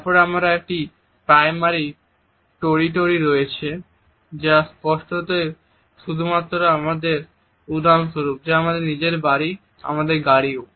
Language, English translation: Bengali, Then there is a primary territory which obviously, belongs to us only for example, our own home, our car also